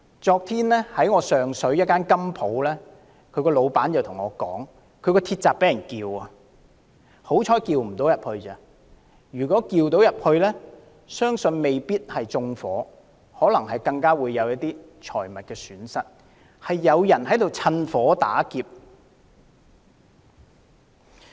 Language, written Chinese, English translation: Cantonese, 昨天，上水一間金鋪的老闆告訴我，他的店鋪鐵閘被撬，幸好沒受損，否則雖不致被縱火，也會蒙受財物損失，現時的確有人在趁火打劫。, The owner of a goldsmith shop in Sheung Shui told me yesterday that the iron gate of his shop had been broken open and fortunately it was not damaged otherwise he would suffer property loss even if the shop was spared from an arson attack